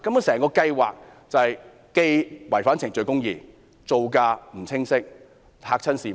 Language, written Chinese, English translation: Cantonese, 整個計劃既違反程序公義，造價也不清晰，嚇壞市民。, The entire project is in contravention of procedural justice and the unclear cost will scare members of the public off